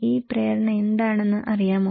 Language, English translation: Malayalam, Do you know what is this motive